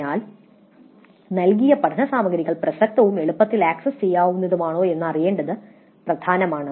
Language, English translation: Malayalam, So, it is important to know whether the learning material provided was relevant and easily accessible